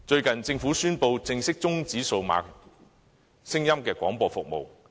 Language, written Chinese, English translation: Cantonese, 近日，政府宣布正式終止數碼聲音廣播服務。, Recently the Government has announced the formal discontinuation of digital audio broadcasting DAB services